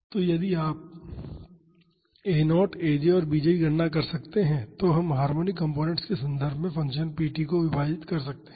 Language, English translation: Hindi, So, if you can calculate a naught aj and bj we can split the function p t in terms of harmonic components